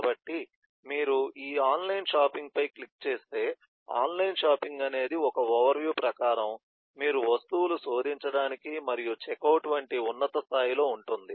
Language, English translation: Telugu, so if you click on this so online shopping, it says that, eh, in terms of an overview, what is online shopping is you search items and checkout, which is at the top level